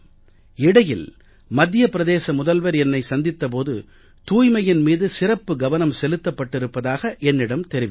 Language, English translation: Tamil, It's true that I met the Chief Minister of Madhya Pradesh recently and he told me that they have laid special emphasis on cleanliness